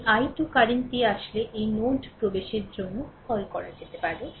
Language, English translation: Bengali, This i 2 current actually is your what to call entering into this node